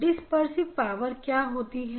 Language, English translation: Hindi, What is dispersion power